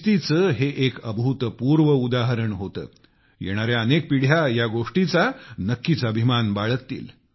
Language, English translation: Marathi, It was an unprecedented example of discipline; generations to come will certainly feel proud at that